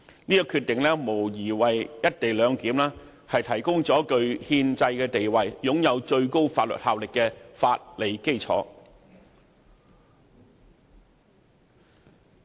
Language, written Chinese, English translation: Cantonese, 相關決定無疑為"一地兩檢"提供了具憲制地位並擁有最高法律效力的法理基礎。, Such Decision undoubtedly provides the co - location arrangement with a legal basis that commands constitutional standing and is vested with supreme authority in law